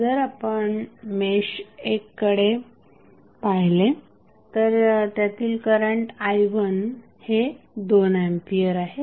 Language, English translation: Marathi, If you see mesh one the value of mesh current is i 1 is equal to 2 ampere